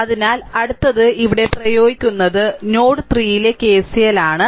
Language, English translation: Malayalam, So, next is you apply here that the KCL here at node node 3